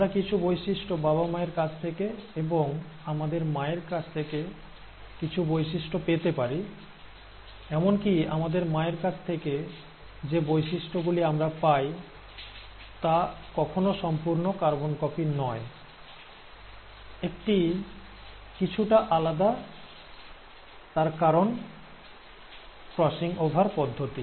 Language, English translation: Bengali, We may receive some features from our parents, and some features from our mother, and even the features that we receive from our mother is not an exact carbon copy, it is still a slight variation, because of the process of crossing over